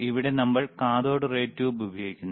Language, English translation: Malayalam, Here we are using the cathode ray tube